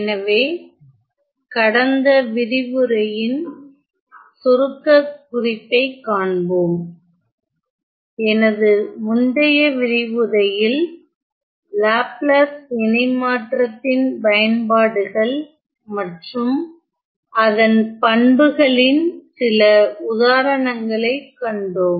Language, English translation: Tamil, So, just to recap, in my last lecture we saw some examples of the Application of Laplace Transform and its properties